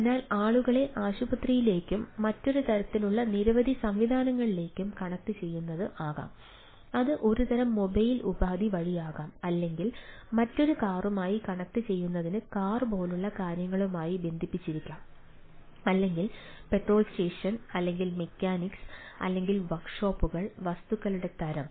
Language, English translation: Malayalam, it is connected may be to the hospitals, to other type of a, several ah mechanisms and type of things, may be through a mobile device, or it can be things connected to a, things like a, a car connected to another car or petrol station or mechanics or ah workshops and type of things